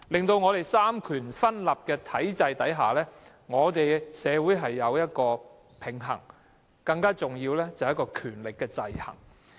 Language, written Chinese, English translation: Cantonese, 在三權分立的體制下，社會需要有一個平衡，更重要的是權力的制衡。, Under a system which sees the separation of powers a kind of balance is needed in society particularly the checks and balances of powers